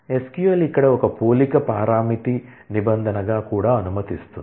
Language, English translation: Telugu, SQL where clause also allows between as a comparison parameter